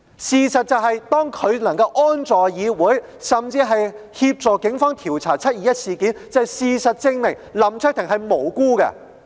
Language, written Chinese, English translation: Cantonese, 事實是，當林卓廷議員能夠安坐議會裏，甚至協助警方調查"七二一"事件，便足以證明他是無辜的。, The fact that Mr LAM Cheuk - ting can sit here in the legislature without any problems and has been asked to offer assistance in police investigation into the 21 July incident is sufficient proof of his innocence